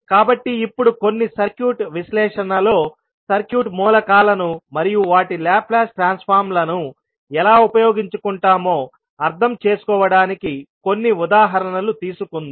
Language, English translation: Telugu, So now, let us take some examples so that we can understand how we will utilize the circuit elements and their Laplace transform in the overall circuit analysis